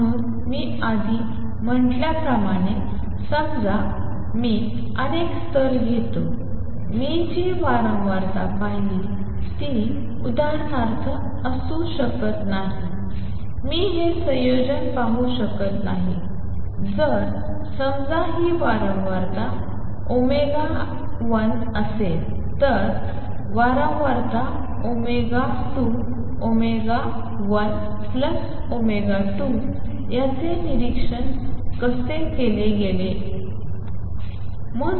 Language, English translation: Marathi, So, as I said earlier suppose I take many many levels, the frequency that I observed cannot be for example, I cannot observe this combination if I take suppose this is frequency omega 1 this is frequency omega 2 omega 1 plus omega 2 is not observed